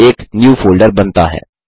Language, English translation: Hindi, * A New Folder is created